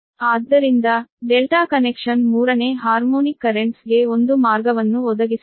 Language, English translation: Kannada, therefore, the delta connection does, however, provide a path for third, third harmonic currents to flow